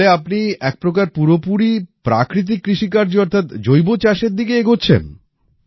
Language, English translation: Bengali, So in a way you are moving towards natural farming, completely